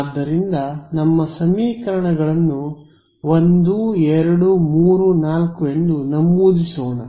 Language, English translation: Kannada, So, let us number our equations was 1 2 3 4 ok